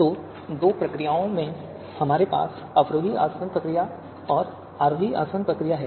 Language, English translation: Hindi, So in the two procedures that we have descending distillation procedure and the ascending distillation procedure